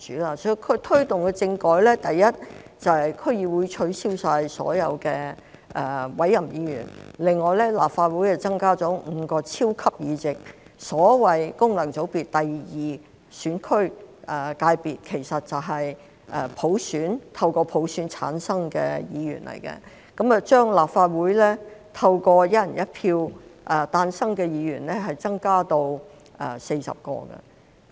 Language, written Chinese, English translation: Cantonese, 所以，他推動政改的第一點，就是取消區議會所有委任議員，另外在立法會增加了5個超級議席，即區議會功能界別，其實就是透過普選產生的議員，並把立法會透過"一人一票"誕生的議員增加至40位。, So the first thing he did in taking forward the political reform was to abolish all appointed members of the District Council and add five super seats to the Legislative Council ie . the District Council second functional constituency . These were Members returned by universal suffrage in effect which had increased the number of Legislative Council Members returned by one person one vote to 40